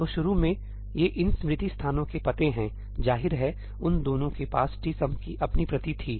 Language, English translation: Hindi, So, initially these are the addresses of these memory locations; obviously, they both had their own copy of tsum